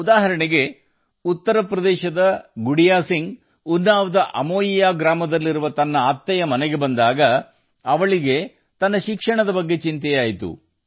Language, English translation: Kannada, For example, when Gudiya Singh of UP came to her inlaws' house in Amoiya village of Unnao, she was worried about her studies